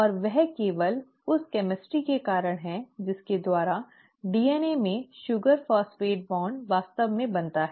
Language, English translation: Hindi, And that is simply because of the chemistry by which the sugar phosphate bond in DNA is actually formed